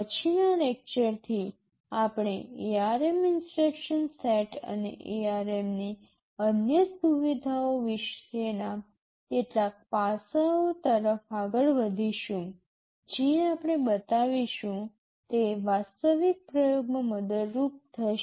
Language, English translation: Gujarati, From the next lecture onwards, we shall be moving on to some aspects about the ARM instruction set and other features of ARM that will be helpful in the actual experimentation that we shall be showing